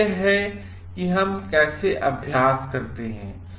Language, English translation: Hindi, So, that is how we practice it